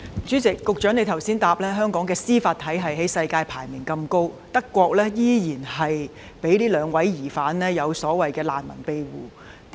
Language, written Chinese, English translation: Cantonese, 主席，局長剛才在答覆中指出，香港的司法體系世界排名前列，惟德國依然讓這兩位疑犯獲得所謂的難民庇護。, President the Secretary pointed out in the reply just now that the judicial system of Hong Kong was one of the best worldwide . But still Germany has granted the so - called refugee protection status to the two suspects